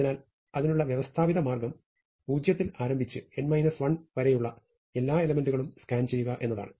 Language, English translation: Malayalam, So, systematic way to do it is to start with the position 0 and just scan all the way to n minus 1